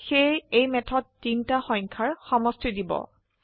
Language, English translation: Assamese, So this method will give sum of three numbers